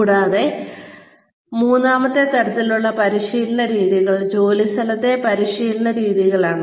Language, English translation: Malayalam, And, the third type of training methods are, on the job training methods